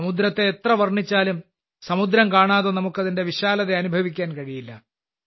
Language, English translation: Malayalam, No matter how much someone describes the ocean, we cannot feel its vastness without seeing the ocean